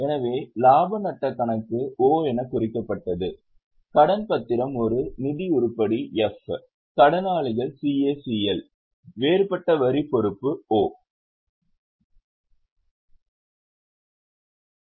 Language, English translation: Tamil, So, profit and loss account was marked as O, dementia being a financing item F, creditors, CACL, deferred tax liability O